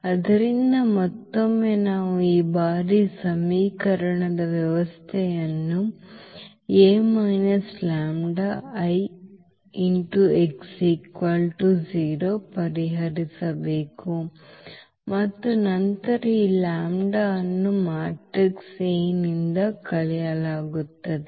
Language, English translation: Kannada, So, again we have to solve the system of equation a minus lambda I x is equal to 0 this time and then, so again this lambda will be subtracted from this matrix A